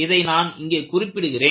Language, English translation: Tamil, That is what is mentioned here